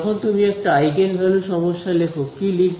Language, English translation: Bengali, When you write a eigenvalue problem, what you write